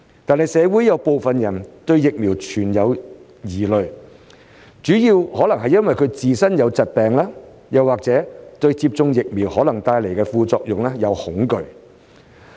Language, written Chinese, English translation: Cantonese, 然而，社會有部分人對疫苗存在疑慮，主要可能是由於自身有疾病，或是對接種疫苗可能帶來的副作用感到恐懼。, However some people in the community are concerned about the vaccines mainly because there are worries about their own health conditions or the possible side effects of vaccination